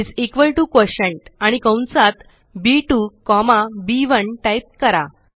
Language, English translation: Marathi, And type is equal to QUOTIENT, and within the braces, B2 comma B1